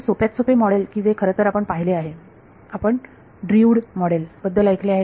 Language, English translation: Marathi, So, the simplest model is actually something that you have seen you have heard of Drude model